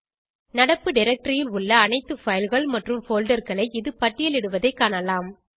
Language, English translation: Tamil, You can see it lists all the files and folders in the current working directory